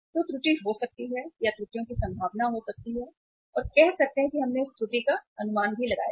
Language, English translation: Hindi, So there can be the the error or there can be the possibility of the errors and say we have estimated that error also